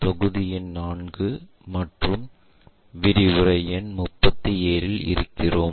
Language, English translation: Tamil, We are in Module number 4 and Lecture number 37